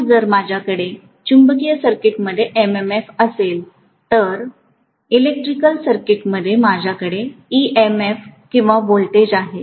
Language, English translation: Marathi, So if I have MMF in the magnetic circuit, in the electric circuit, I have EMF or voltage